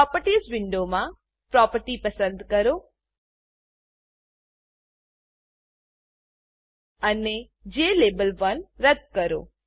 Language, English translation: Gujarati, In the Properties window, select the Text property and delete jLabel1